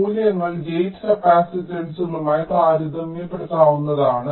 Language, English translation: Malayalam, ok, so how high the values are comparable to gate capacitances